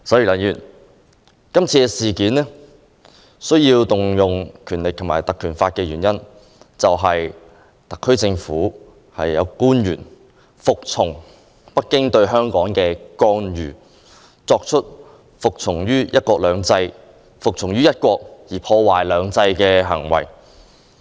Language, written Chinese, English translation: Cantonese, 今次需要引用《條例》，就是因為特區政府有官員服從於北京對香港的干預，做出服從於"一國"而破壞"兩制"的行為。, This time as some SAR Government officials have submitted to the interference by Beijing in Hong Kong affairs and acted on one country to damage two systems we have to invoke the Ordinance